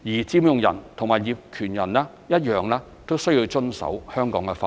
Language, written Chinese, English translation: Cantonese, 佔用人及業權人均須遵守香港法律。, Both land occupiers and owners should abide by the laws of Hong Kong